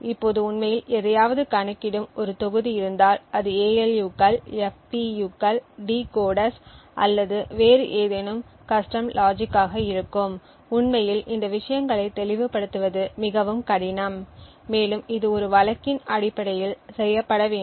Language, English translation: Tamil, Now, if we have a module which actually computes something for example it would be ALUs, FPUs, decoders or any other custom logic it is actually very difficult to obfuscate these things, and this has to be done on a case to case basis